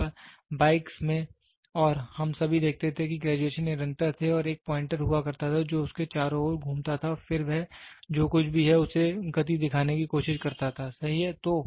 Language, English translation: Hindi, Earlier in the bikes and all we used to see the graduation is continuous and there used to be a pointer which moves along around it and then it tries to show the speed whatever it is, right